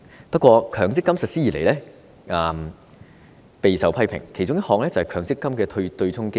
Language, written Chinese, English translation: Cantonese, 不過，強積金實施以來備受批評，其中一個問題就是強積金的對沖機制。, However MPF has been under strong criticisms since its inception . One of the subject of criticisms is the offsetting mechanism